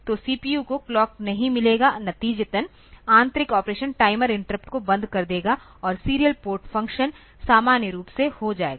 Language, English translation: Hindi, So, CPU will not get the clock as a result the internal operation will stop interrupt timer and serial port functions act normally